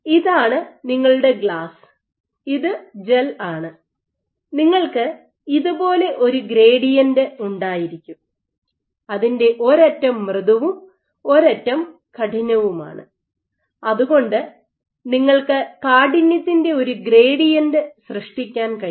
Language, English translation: Malayalam, So, this is your glass, this is your gel you can have a gradient in which one end is soft and one end is stiff, so you can generate a gradient stiffness